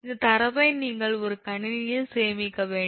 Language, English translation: Tamil, so here, this data you have to stored in a computer